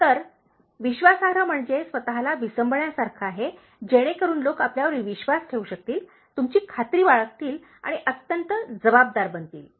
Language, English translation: Marathi, So, trustworthy is like making yourself dependable, so that people can believe you, trust you and becoming highly responsible